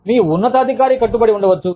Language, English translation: Telugu, Your superior may be committed